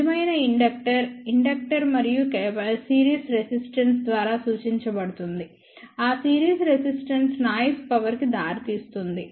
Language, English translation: Telugu, A real inductor will be represented by inductor and series resistance, that series resistance will give rise to noise power